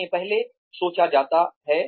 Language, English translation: Hindi, They are thought of earlier